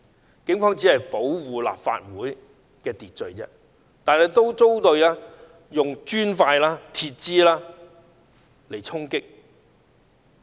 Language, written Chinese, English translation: Cantonese, 當時警方只是想保護立法會的安全和秩序，卻也遭到磚塊和鐵枝的衝擊。, Police officers who only wanted to protect the safety of the Legislative Council Complex and maintain order were attacked with bricks and metal rods